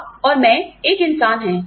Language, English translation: Hindi, You and I are human beings